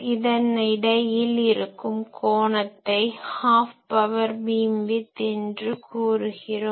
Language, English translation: Tamil, So, these angle between them that is called Half Power Beamwidth